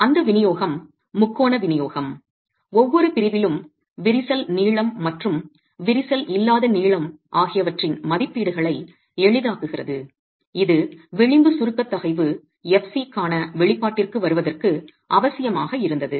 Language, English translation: Tamil, And that distribution, the triangular distribution was simplifying the estimates of the cracked length and the uncracked length in each section which was essential to be able to arrive at an expression for the edge compressive stress, FC